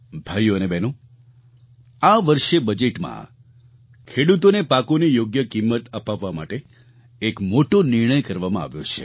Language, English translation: Gujarati, Brothers and sisters, in this year's budget a big decision has been taken to ensure that farmers get a fair price for their produce